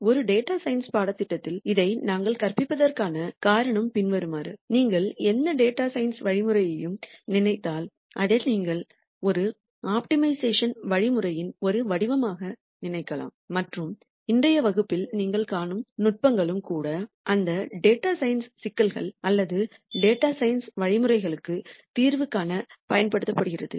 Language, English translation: Tamil, And the reason why we are teaching this in a data science course is the following, if you think of any data science algorithm, you can think of it as some form of an optimization algorithm and the techniques that you will see in today’s class are also used in solution to those data science problems or data science algorithms